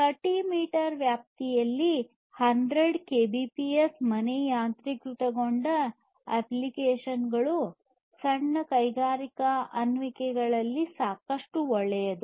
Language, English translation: Kannada, 100 kbps in a range of 30 meters is good enough for many applications, home applications, home automation applications, some small industrial applications and so on